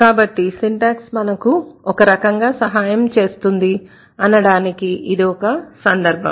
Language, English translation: Telugu, So that's the instance when syntax proves to be helpful